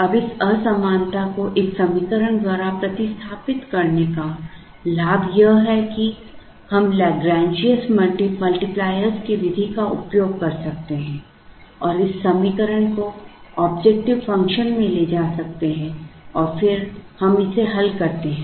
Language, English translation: Hindi, Now the advantage of replacing this inequality by an equation is that we can use the method of Lagrangian multipliers and take this equation into the objective function and then we solve this